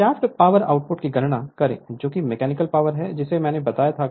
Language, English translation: Hindi, Calculate the shaft power output that is your mechanical power I told you right